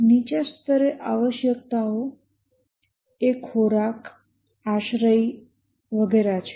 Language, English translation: Gujarati, At the lowest level the requirements are food, shelter